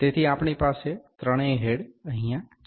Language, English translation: Gujarati, So, we have all the three heads here